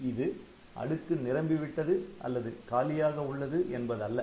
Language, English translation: Tamil, So, they do not mean that the stack is full or stack is empty like that